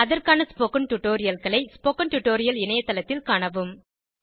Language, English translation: Tamil, Please go through the relevant spoken tutorials on the spoken tutorial website